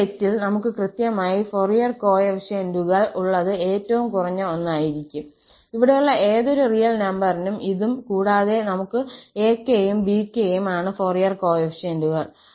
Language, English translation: Malayalam, Among all these errors, the one where we have exactly the Fourier coefficients is going to be the minimum one, for any real number here, this and this and we have that ak and bk are the Fourier coefficients